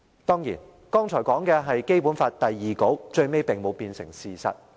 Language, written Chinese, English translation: Cantonese, 當然，剛才所說的是《基本法》第二稿，最終並沒有變成事實。, Of course the stipulations of Version 2 of the draft Basic Law which I read out just now have not turned into reality in the end